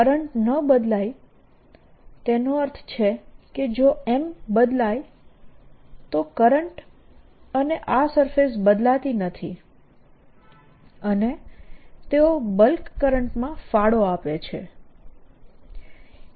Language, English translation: Gujarati, if the currents don't change, that means if m varies, then the currents and these surfaces do not change and they contribute to the bulk current